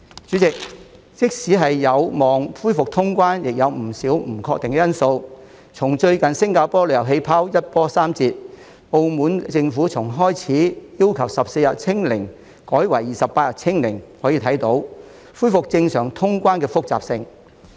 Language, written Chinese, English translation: Cantonese, 主席，即使有望恢復通關，亦有不少不確定因素，從最近新加坡"旅遊氣泡"一波三折、澳門政府從開始要求14天"清零"改為28天"清零"，可見恢復正常通關的複雜性。, President even if cross - border travel is expected to resume there are still many uncertainties as evidenced by the recent twists and turns of the travel bubble with Singapore and the change of the requirement of the Macao Government from zero infections for 14 days to zero infections for 28 days . We can thus see the complexity of resuming normal cross - border travel